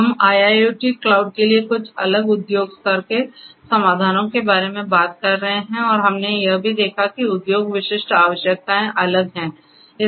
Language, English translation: Hindi, We are talked about some of these different industry level solutions for IIoT cloud and we have also seen that industry specific requirements are different